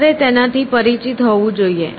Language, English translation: Gujarati, You must be familiar with it